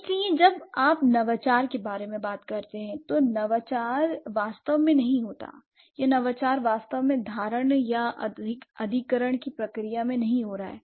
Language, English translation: Hindi, So, when you talk about innovation, innovation is not really occurring or innovation is not really happening in the process of perception or acquisition